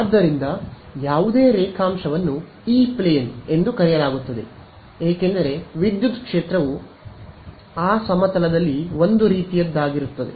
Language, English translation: Kannada, So, any longitude is considered is called the E plane because the electric field is sort of in that plane so right